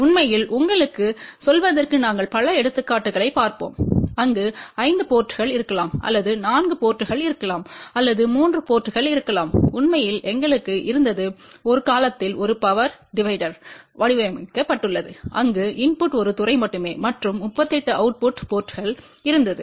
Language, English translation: Tamil, In fact, just to tell you we will be looking at several examples where there may be a 5 ports or there may be a 4 ports or there may be 3 port in fact, we had designed at one time a power divider where input was only one port and there were 38 output ports